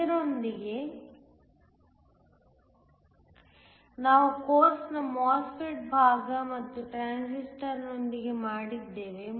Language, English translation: Kannada, With this we are done with the MOSFET part of the course and the transistor as well